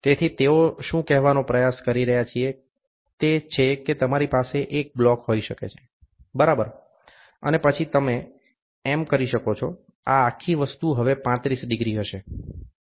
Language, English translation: Gujarati, So, what they are trying to say is that you can have a block, ok, and then you can have so, this entire thing will be now 35 degrees